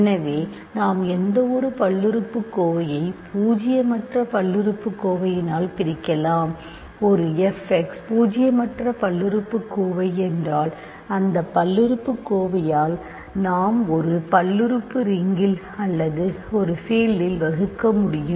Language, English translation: Tamil, So, we can always divide by any polynomial, any non zero polynomial if a f x non zero polynomial we can divide by that polynomial in a field in a polynomial ring or a field